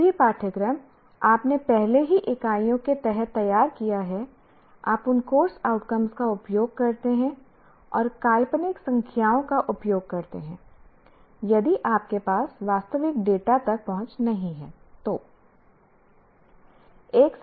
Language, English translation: Hindi, Whatever course that you have already prepared under the earlier units, use those course outcomes and use hypothetical numbers if you do not have access to the actual data